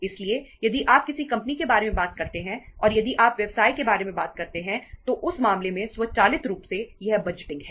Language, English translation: Hindi, So if you talk about a company, if you talk about the business and means if you talk about the business in that case uh automatically this budgeting is there